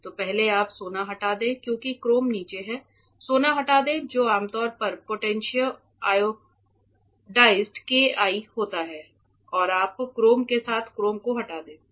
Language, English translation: Hindi, So, first you remove gold because chrome is below it remove gold with gold etchant which is usually potassium iodide KI and you remove chrome with a chrome etchant